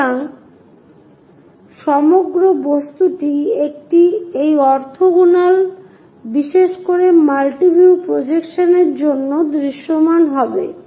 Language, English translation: Bengali, So, entire object will be clearly visible for this orthogonal, especially multi view projections